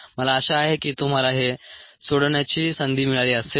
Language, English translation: Marathi, i hope you would have a chance to work this out